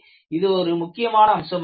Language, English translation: Tamil, This is one aspect of this